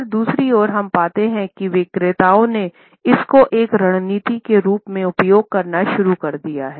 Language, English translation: Hindi, On the other hand, we find that salespeople have started to use it as a strategy